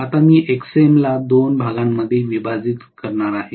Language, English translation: Marathi, Now, I am going to divide Xm also into 2 portions